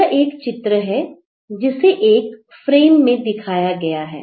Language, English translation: Hindi, So, in this picture, it is done in a single frame